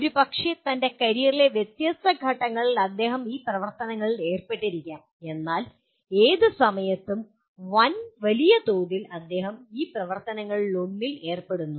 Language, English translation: Malayalam, Maybe at different points in his career he may be involved in these activities, but by and large at any given time he is involved in one of these activities